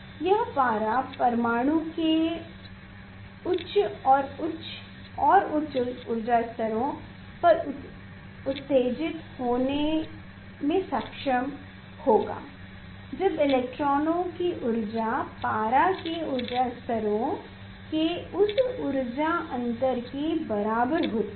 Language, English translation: Hindi, it is it will be able to jump to the higher and higher and higher energy levels of mercury atom when the energy of the electrons is matching with the with that energy difference of the energy levels of the mercury